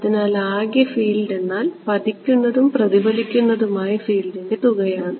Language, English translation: Malayalam, So, the total field is going to be incident plus reflected right